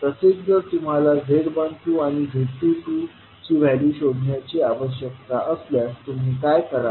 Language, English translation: Marathi, Similarly, if you need to find the value of Z12 and Z22, what you will do